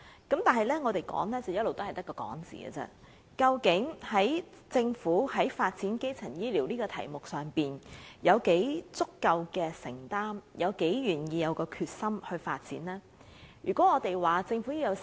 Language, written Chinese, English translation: Cantonese, 但是，儘管我們一直提出，但究竟政府在發展基層醫療服務這議題上有多足夠的承擔，以及多大決心進行發展，實成疑問。, However despite of our efforts it is questionable how adequate is the commitment made by the Government and how determined the Government is in developing primary health care services